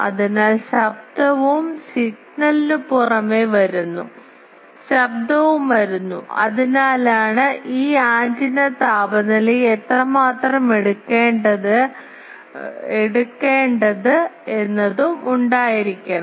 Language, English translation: Malayalam, So, noise also comes apart from signal, noise also comes, that is why it also should have that how much it can take this antenna temperature